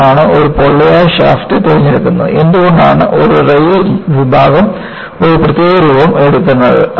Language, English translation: Malayalam, Why a hollow shaft is preferred and why a rail section takes a particular shape